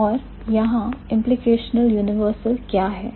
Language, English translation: Hindi, And what is the implicational universal here